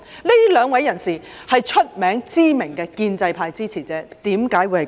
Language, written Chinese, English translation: Cantonese, 這兩位人士是著名的建制派支持者，為何會這樣？, These two persons are prominent pro - establishment figures . Why would something like this happen to them?